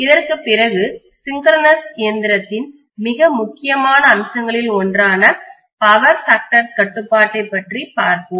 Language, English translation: Tamil, After this, we will be talking about power factor control which is one of the most important aspects of the synchronous machine